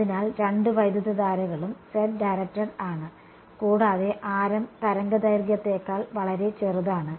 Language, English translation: Malayalam, So, both currents are z directed and radius is much smaller than wavelength ok